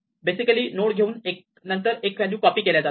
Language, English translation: Marathi, So, we just take basically this node and copy these values one by one here